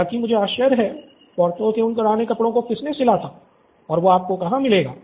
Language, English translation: Hindi, However, I wonder who stitched those previous old clothes of Porthos